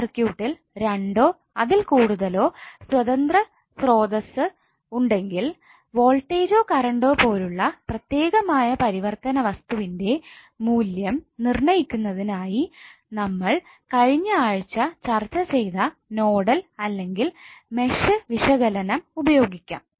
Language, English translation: Malayalam, Now if a circuit has 2 or more independent sources the one way to determine the value of a specific variables that is may be voltage or current is to use nodal or match analysis, which we discussed in the previous week